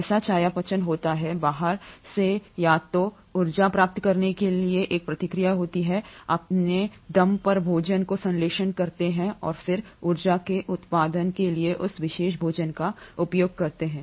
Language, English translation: Hindi, So the metabolism happens, there is a process in place to acquire energy either from outside or synthesise the food on their own and then utilise that particular food for generation of energy